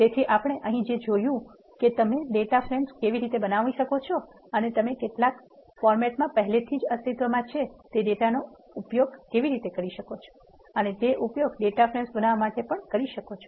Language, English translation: Gujarati, So, what we have seen here is you can either create data frames on the go or you can use the data that is already existing in some format and use that to create data frames